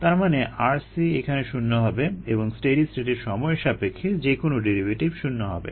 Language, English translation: Bengali, so r c goes to zero and steady state anytime derivative goes to zero